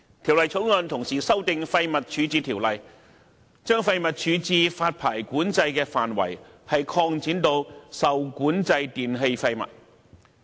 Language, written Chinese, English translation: Cantonese, 《條例草案》同時修訂《廢物處置條例》，將廢物處置發牌管制的範圍擴展至受管制電器廢物。, The Bill amended the Waste Disposal Ordinance WDO as well extending the waste disposal licensing control to the disposal of regulated e - waste